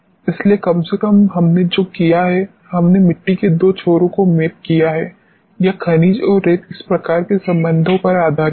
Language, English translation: Hindi, So, at least what we have done is we have mapped two extremes of the soils, that is the minerals and the sands based on this type of a relationship